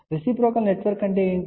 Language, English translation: Telugu, What reciprocal network means